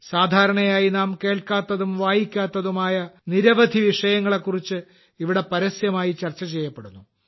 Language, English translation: Malayalam, Here those topics are discussed openly, about which we usually get to read and hear very little